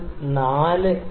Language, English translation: Malayalam, Then h is equal to 0